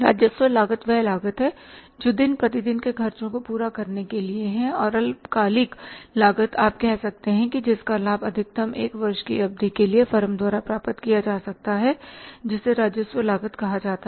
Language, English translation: Hindi, Revenue cost is the cost which is for fulfilling day to day expenses and short term cost you can say the benefit of which can be enjoyed by the firm maximum for a period of one year that is called as the revenue cost